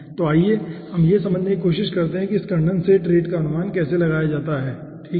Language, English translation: Hindi, okay, next let us try to find out that how condensate rate can be achieved